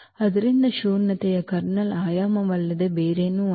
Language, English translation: Kannada, So, the nullity is nothing but the dimension of the kernel